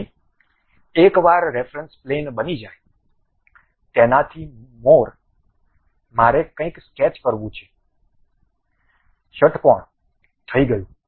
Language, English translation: Gujarati, So, once reference plane is constructed; normal to that, I would like to have something like a sketch, a hexagon, done